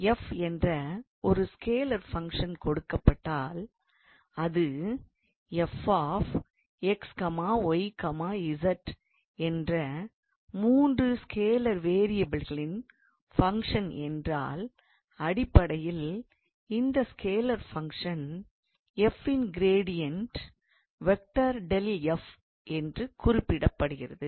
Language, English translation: Tamil, So, if we are given a scalar function f, which is a function of let us say three scalar variables f x, y, z, then basically the divergence of this scalar function f is denoted by sorry gradient of the scalar function will be denoted by this nabla of f